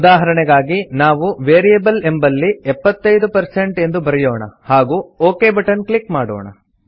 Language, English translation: Kannada, For example,we enter the value as 75% in the Variable field and then click on the OK button